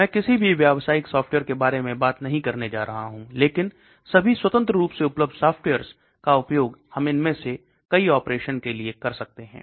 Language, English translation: Hindi, We are also going to look at certain softwares which are freely available, which we can use for performing all these operations